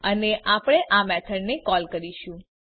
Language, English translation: Gujarati, And we will call this method